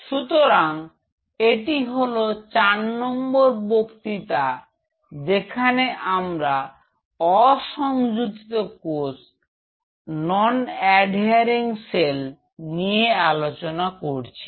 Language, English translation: Bengali, So, this is a fourth lecture and talking about non adhering cells